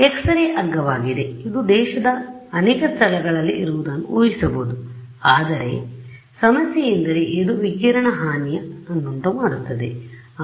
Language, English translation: Kannada, So, X ray is cheap I mean it is not that expensive you can imagine having it in many places in the country, but the problem is it has, it causes radiation damage